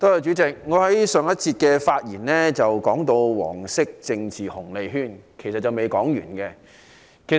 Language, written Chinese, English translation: Cantonese, 主席，我在上節發言提到"黃色政治紅利圈"，其實還未說完的。, Chairman in the previous session I mentioned the yellow political dividend circle . Actually I still have something to say about it